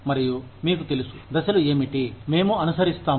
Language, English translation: Telugu, And, you know, what are the steps, we follow